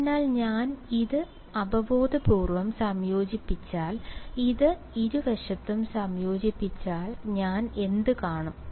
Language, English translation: Malayalam, So, if I integrate this intuitively if I integrate this on both sides what will I see